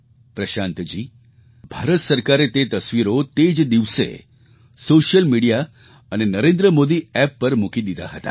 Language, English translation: Gujarati, Prashant ji, the Government of India has already done that on social media and the Narendra Modi App, beginning that very day